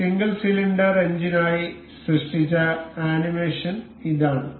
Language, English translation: Malayalam, This is the animation generated for this single cylinder engine